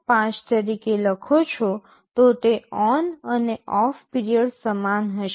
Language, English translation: Gujarati, 5, it will be equal ON and OFF period